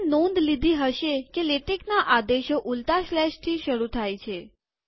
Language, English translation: Gujarati, You may have already noticed that all latex commands begin with a reverse slash